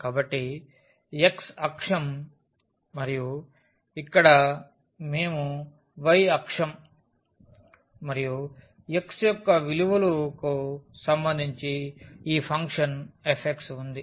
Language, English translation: Telugu, So, this is x axis and then here we have the y axis and this is the function f x with respect to the values of x